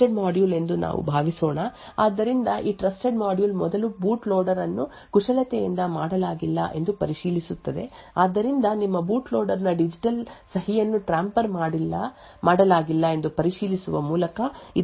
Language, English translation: Kannada, So let us assume that this is your trusted module so this trusted module would then first verify that the boot loader has not being manipulated so to do this by checking that the digital signature of your boot loader has not being tampered with so this root of trust at the time of boot first starts to execute and verifies that the boot loader has not been tampered with